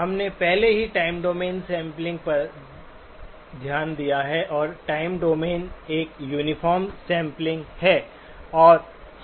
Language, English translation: Hindi, We already looked at time domain sampling and time domain is uniform sampling